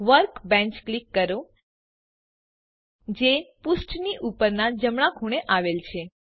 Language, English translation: Gujarati, Click Workbench which is at the top right corner of the page